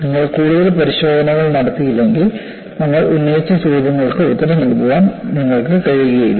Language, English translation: Malayalam, Unless you conduct additional tests, you will not be in a position to answer the questions that we have raised